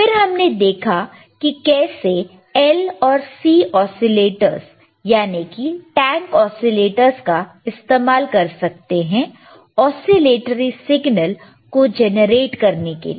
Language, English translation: Hindi, Then we have seen how the L and C oscillators, that is tank oscillators can be used for generating the signal oscillatory signal